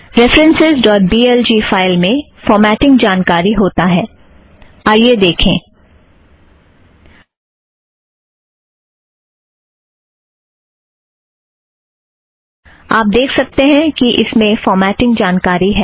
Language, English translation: Hindi, the file references.blg, has formatting information, lets see this, you can see that it has some formatting information